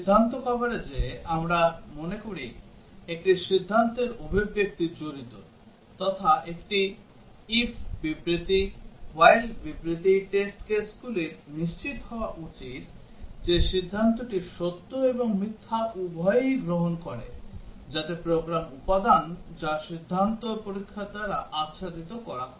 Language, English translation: Bengali, In decision coverage, we remember there is a decision expression involved like an if statement, while statement the test cases should ensure the decision takes both true and false, so that is the program element that is to be covered by decision testing